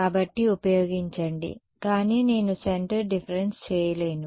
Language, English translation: Telugu, So, use, but I cannot do centre differences